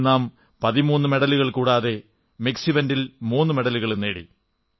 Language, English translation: Malayalam, At this event we won 13 medals besides 3 in mixed events